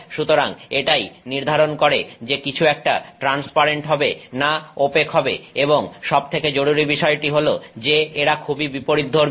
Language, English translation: Bengali, So, that is what decides whether something is transparent or opaque and most importantly this is very counterintuitive